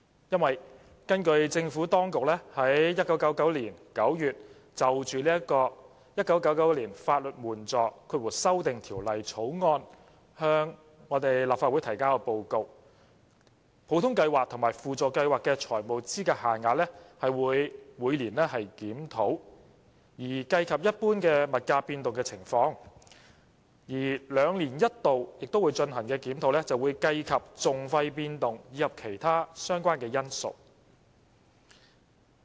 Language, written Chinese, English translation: Cantonese, 因為根據政府當局在1999年9月就《1999年法律援助條例草案》向立法會提交的報告，普通計劃和輔助計劃的財務資格限額會每年檢討，以計及一般物價變動的情況；兩年一度進行的檢討，則會計及訟費變動及其他相關因素。, Pursuant to the Administrations report to the Legislative Council on the Legal Aid Amendment Bill 1999 in September 1999 FELs under OLAS and SLAS are to be reviewed annually to take into account general price movement and biennially to take into account changes in litigation costs and other relevant factors